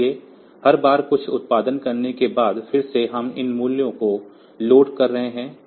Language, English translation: Hindi, So, every time after producing something again we are loading these values